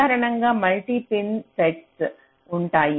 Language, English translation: Telugu, typically there will be multi pin nets